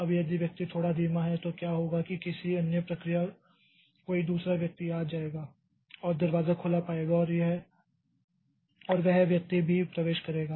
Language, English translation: Hindi, Now if the person is a bit slow then what will happen is that in between some other process another person will come and find the door to be open and that person will also enter